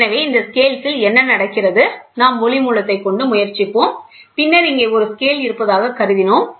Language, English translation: Tamil, So, these scales what happens is, we will try to have a source of light and then we have assumed that we have a scale here, and then we will have a photodiode here